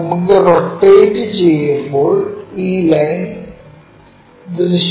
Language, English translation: Malayalam, When we rotate this line will be visible